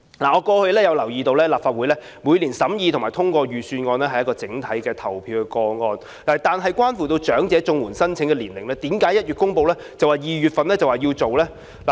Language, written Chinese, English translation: Cantonese, 我留意到過去立法會每年審議或通過財政預算案都是以一項整體投票進行，但對長者綜援申請年齡的修訂為甚麼在1月公布，然後便要在2月實行呢？, I have noticed that when the Legislative Council examined or approved the Budget every year in the past it would be put to the vote as a whole . But why does the revision of the eligibility age for elderly CSSA need to be implemented in February right after it was announced in January?